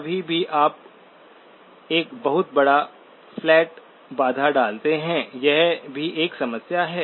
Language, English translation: Hindi, Anytime you impose a very large flat constraint, that also is a problem